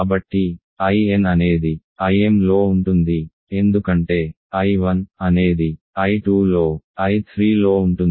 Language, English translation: Telugu, So, I n then is contained in I m right because I 1 is contained in I 2 is contained in I 3